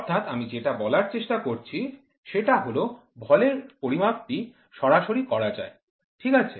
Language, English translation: Bengali, So, this is what I am trying to say direct is mass scale, right